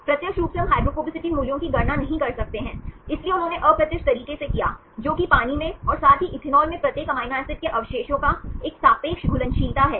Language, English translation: Hindi, Directly we cannot calculate the hydrophobicity values, so they did indirect way, that is a relative solubility of each amino acid residues in water as well as in ethanol